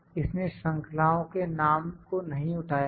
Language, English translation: Hindi, It is, it has not pick the name of the series